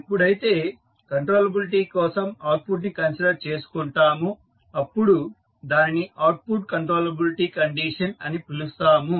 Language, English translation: Telugu, When you consider output for the controllability we call it as output controllability condition